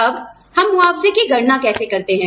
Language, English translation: Hindi, Now, how do we calculate compensation